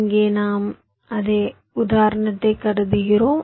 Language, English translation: Tamil, ok, here, ah, we consider same example